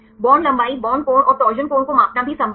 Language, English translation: Hindi, It is also possible to measure the bond length bond angle and torsion angle